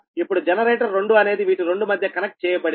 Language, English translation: Telugu, now this is generate two, is connected it between this two